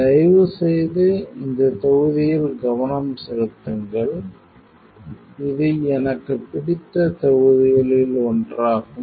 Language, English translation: Tamil, So, please focus on this module this is one of my favorite modules